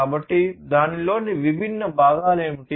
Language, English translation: Telugu, So, what are the different components of it